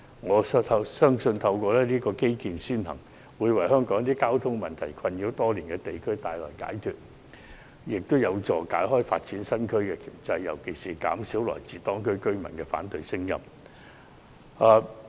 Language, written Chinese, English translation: Cantonese, 我深信透過"基建先行"，可為香港一些受交通問題困擾多年的地區帶來解脫，也有助擺脫發展新區的掣肘，尤其有助於減少來自當區居民的反對聲音。, I am convinced that by prioritizing infrastructure certain districts in Hong Kong can be relieved of the traffic problems that have plagued them for years . It would also go some way to remove the constraints of developing new districts not least by helping to reduce the objections of the residents in the districts